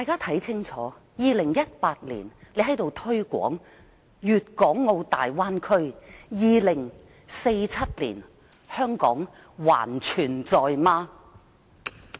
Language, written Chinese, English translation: Cantonese, 看吧 ，2018 年的今天在立法會推廣粵港澳大灣區，到了2047年，香港還存在否？, Look! . On this day in 2018 the Legislative Council is promoting the Bay Area . Will Hong Kong still exist in 2047?